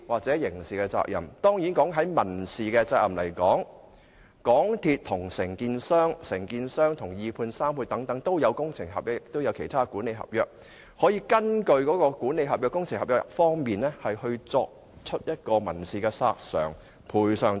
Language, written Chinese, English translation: Cantonese, 在民事責任方面，港鐵公司與承建商，以及承建商與二判或三判會有工程合約和其他管理合約，他們可以根據這些合約進行民事索償和要求賠償等。, Regarding civil liability since MTRCL has entered into contracts with the contractor and the contractor has entered into works contracts and other management contracts with the subcontractor and the sub - subcontractor each party can make civil claims and seek compensation etc . according to these contracts